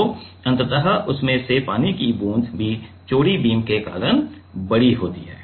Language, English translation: Hindi, So, it is ultimately the water droplet from that is also bigger because of the wider beam